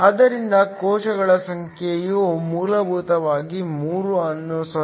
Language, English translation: Kannada, So, the number of cells is essentially 3 divided by 0